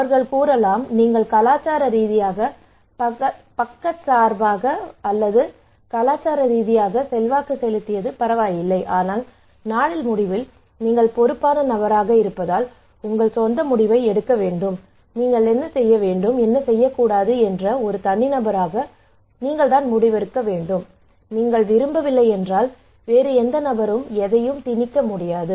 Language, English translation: Tamil, So they are saying that it is okay that you are culturally biased you are culturally influenced, but in the end of the day you have to make your own decision that is you were the responsible, you would make the decision as an individual what to do and what not to do okay no other person can impose anything if you do not want they can force you they can influence you they can pressure you, but it is you who have to make the decision okay